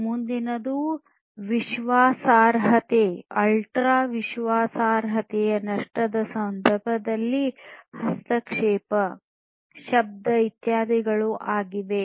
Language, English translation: Kannada, The next one is reliability ultra reliability in the face of lossiness in the face of lot of interference noise etcetera